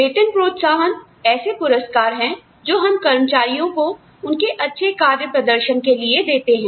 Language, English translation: Hindi, Pay incentives are programs, designed to reward employees for good performance